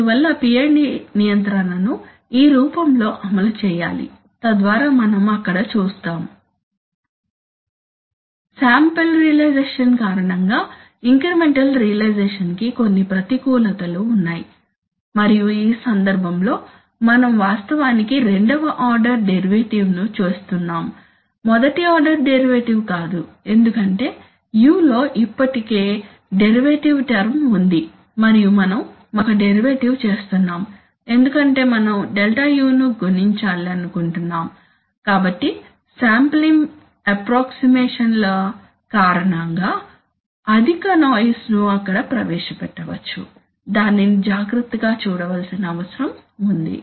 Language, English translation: Telugu, There are some disadvantages of this of the incremental realization because of the sample realization and because we, in this case we are actually making a second order derivative not a first order derivative because there is also already a derivative term in u and we are making another derivative because we want to compute Δu, so because of sampling approximations a high amount of noise may be introduced there, that needs to be taken care of